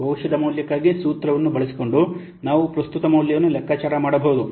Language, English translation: Kannada, We can compute the present value by using the formula for the future value